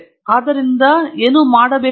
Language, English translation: Kannada, So, I donÕt have to do anything with that